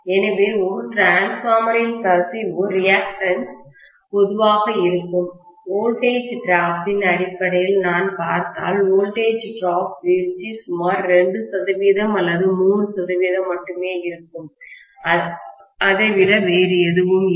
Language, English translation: Tamil, So, the leakage reactance typically of a transformer will be, if I look at in terms of voltages drop, then voltage drop will be only about 2 percent or 3 percent, nothing more than that